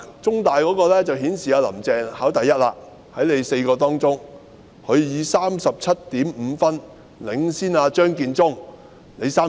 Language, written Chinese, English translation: Cantonese, 中大的民調顯示"林鄭"在4人之中考第一，她以 37.5 分領先37分的張建宗。, The poll results of CUHK show that among these four people Carrie LAM is the top scorer beating Matthew CHEUNGs score of 37 with her 37.5